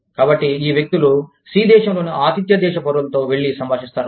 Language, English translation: Telugu, So, these people, go and interact, with the host country nationals, in country C